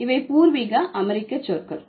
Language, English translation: Tamil, So, these are the Native American languages or the native American words